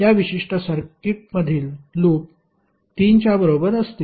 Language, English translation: Marathi, Loops in that particular circuit would be equal to 3